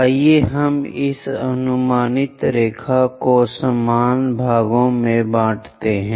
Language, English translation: Hindi, Let us use this projected line into equal number of parts